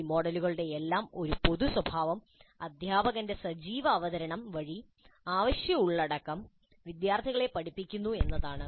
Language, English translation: Malayalam, One general attribute of all these models is that essential content is taught to students via an active presentation by the teacher